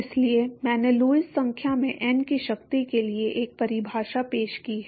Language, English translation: Hindi, So, I have introduced a definition into Lewis number to the power of n